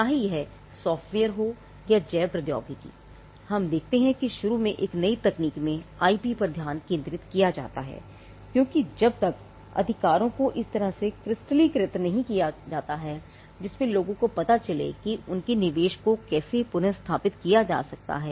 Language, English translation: Hindi, Be it software or biotechnology we see that initially there is a focus on IP in a new technology because, till then the rights have not crystallized in a way in, which people know how their investment can be recouped